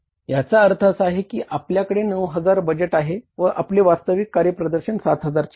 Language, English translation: Marathi, So, it means if you have 9,000 budget actual performance is 7,000 either you should have the budget also for the 7,000